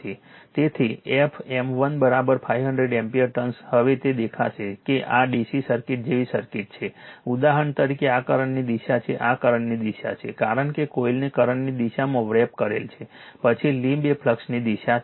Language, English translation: Gujarati, So, f M 1 is equal to 500 ampere turns now it will look into that that this is your circuit like a DC circuit for example, that this is the direction of the flux this is your direction of the flux because you wrap grabs the coil in the direction of the current then thumb is the direction of the flux